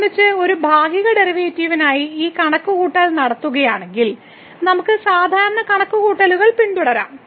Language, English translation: Malayalam, So, just doing this calculation for a partial derivative with respect to , we can just follow the usual calculations